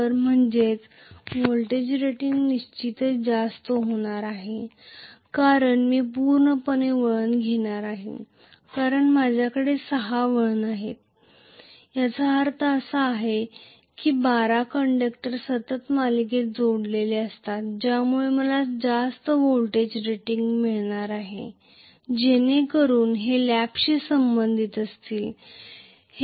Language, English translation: Marathi, So which means the voltage rating definitely is going to be higher because I am going to have totally 6 turns, which means 12 conductors are connected in series continuously so because of which I am going to have a higher voltage rating so this corresponds to lap winding whereas this corresponds to wave winding